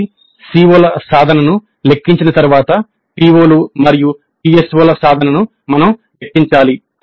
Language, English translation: Telugu, So we need to compute the attainment of COs and thereby POs and PSOs